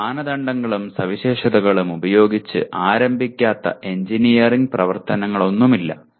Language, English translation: Malayalam, There is no engineering activity out in the field where you do not start with criteria and specifications